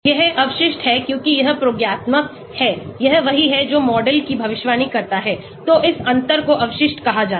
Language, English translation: Hindi, This is residual because this is the experimental, this is what the model predicts, so this difference is called the residual